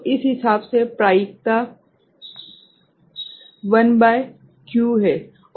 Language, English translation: Hindi, So, probability of this according is one upon q